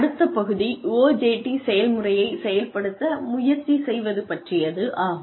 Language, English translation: Tamil, The next part is, in the OJT process is, try out the process